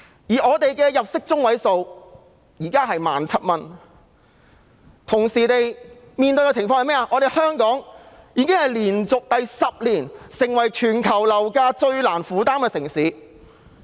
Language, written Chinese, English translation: Cantonese, 香港人的入息中位數是 17,000 元，但香港同時亦連續10年成為全球樓價最難負擔的城市。, The median monthly income of Hong Kong people is 17,000 but Hong Kong has also become the city with the most unaffordable property prices in the world for 10 consecutive years